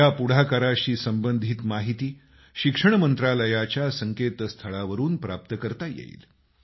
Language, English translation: Marathi, Information about this can be accessed from the website of the Ministry of Education